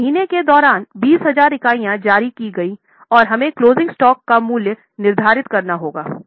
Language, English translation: Hindi, Now 20,000 units were issued during the month and we have to determine the value of closing stock